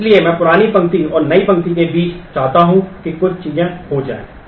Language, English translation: Hindi, So, I might want between the old row and the new row that certain things happen